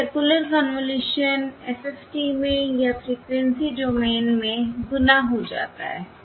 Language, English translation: Hindi, This circular convolution becomes multiplication in the FFT or the frequency domain